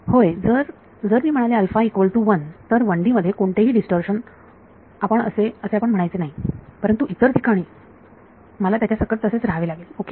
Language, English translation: Marathi, Yes, you should not say any distortion in 1D if I said alpha equal to 1, but other places I have to live with it ok